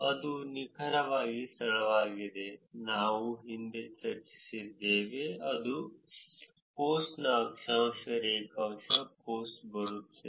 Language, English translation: Kannada, That is the exact location, which we have discussed in the past, which is latitude, longitude of the post from where the post is coming